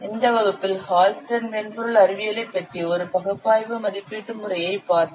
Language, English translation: Tamil, You have seen in this class about Hullstery software science which is an analytical estimation method